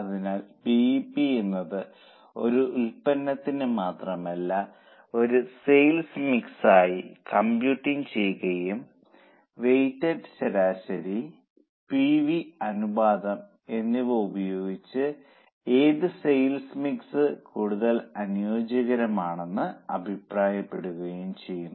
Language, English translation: Malayalam, So, computing BEP not just for one product but for a BEP for a sales mix and using BEP and weighted average PV ratio commenting on which sales mix is more suitable